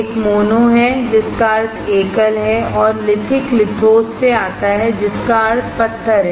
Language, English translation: Hindi, One is "mono" meaning a single one, and "lithic" comes from the Lithos meaning stone